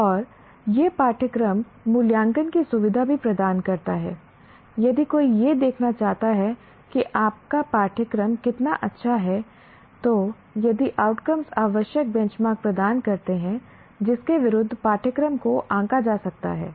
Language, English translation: Hindi, If somebody wants to look at how good is your curriculum, then if the outcome based, the outcomes provided the required benchmarks against which the curriculum can be judged